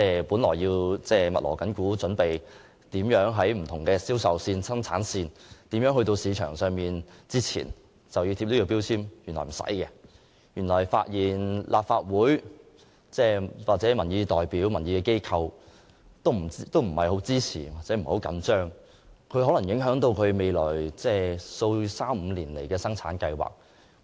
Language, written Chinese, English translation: Cantonese, 他們原本正在密鑼緊鼓，準備在不同銷售線、生產線以至送往市場之前為產品貼上能源標籤，如立法會內的民意代表並不支持強制性標籤計劃，將可能影響生產商未來3至5年的生產計劃。, They have been busy making preparation at various sales points and along the production line to ensure that energy labels have been affixed to their products before delivering them to the market . If the representatives of public opinions in the Legislative Council do not support MEELS the production plans of the manufacturers for three to five years to come will likely be affected